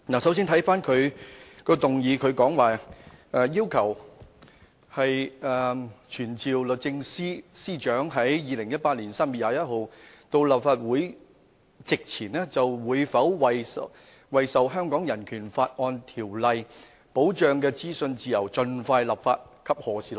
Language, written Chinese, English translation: Cantonese, 首先，他的議案要求"傳召律政司司長於2018年3月21日到立法會席前，就會否為受《香港人權法案條例》保障的資訊自由盡快立法及何時立法"。, First of all his motion calls for summoning the Secretary for Justice to attend before the Council on 21 March 2018 in relation to whether a law will be enacted as soon as possible on freedom of information protected by the Hong Kong Bill of Rights Ordinance when such a law is to be enacted